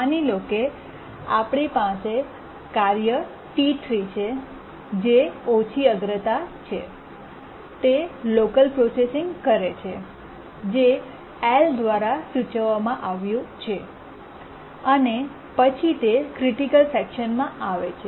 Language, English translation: Gujarati, We have a task T3 which is of low priority, does some local processing denoted by L and then after some time it gets into the critical section